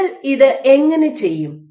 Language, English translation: Malayalam, So, how do you go about doing this